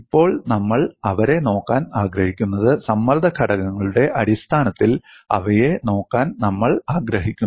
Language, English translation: Malayalam, Now, we what we want to look at them is, we want to look at them in terms of stress components